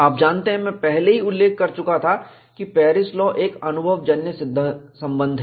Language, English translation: Hindi, You know, I had already mentioned, that Paris law is an empirical relation